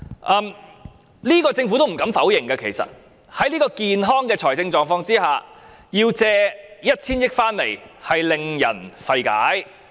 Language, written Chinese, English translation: Cantonese, 其實政府也不敢否認，因此，在這樣健康的財政狀況下須舉債 1,000 億元，實在令人費解。, In fact the Government dares not deny it . Hence given such a sound financial position the need to borrow 100 billion is really puzzling